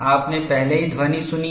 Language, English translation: Hindi, You have already heard the sound